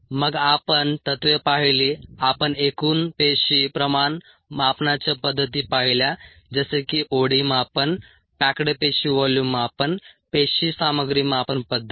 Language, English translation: Marathi, we looked at methods for total cell concentration measurement, ah, such as o d measurement, the pack cell volume measurement, the cell contents measurement and ah